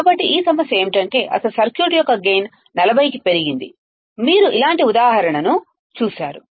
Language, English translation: Telugu, So, this problem is that the gain of the original circuit is increased to be by 40, you have seen a similar example